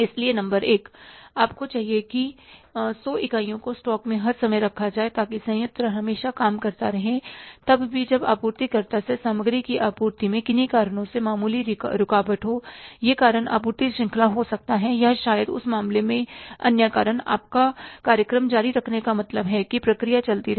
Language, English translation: Hindi, So, number one, you need that 100 units to be kept in the stock all the times so that plant always keeps on working even when there are the minor interruptions in the supply of material from suppliers, maybe because of any reasons, it is a supply chain reason or maybe other reason